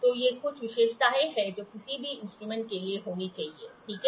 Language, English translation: Hindi, So, these are some of the characteristics should be there for any instrument, ok